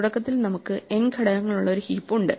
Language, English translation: Malayalam, Initially, we have a heap which has n elements